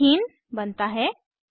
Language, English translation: Hindi, Ethene is formed